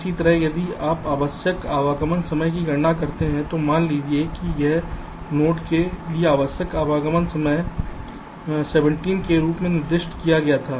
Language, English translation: Hindi, similarly, if you calculate the required arrival time, suppose the required arrival time for this node was specified as seventeen